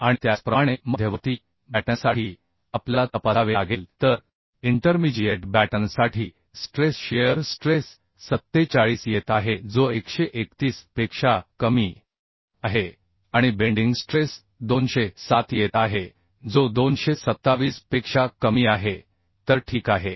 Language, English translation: Marathi, And similarly for intermediate batten we have to check so for intermediate batten the stress shear stress is coming 47 which is less than 131 and bending stress is coming 207 which is less than 227 so it is ok